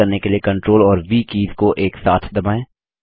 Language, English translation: Hindi, Then press CTRL+V key to paste